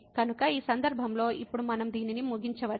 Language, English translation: Telugu, So, in this case now we can conclude this